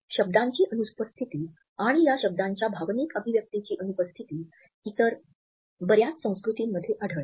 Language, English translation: Marathi, The absence of words, and thus the absence of emotional expression of those words, is found in many other cultures